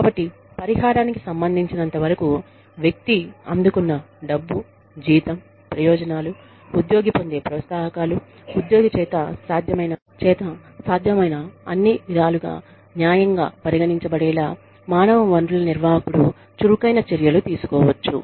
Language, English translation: Telugu, So, as far as compensation is concerned, the human resources manager, can take active steps to ensure that the, money, that the person receives, the salary, the benefits, the perks, that the employee receives, are considered to be fair, by the employee, in every way, possible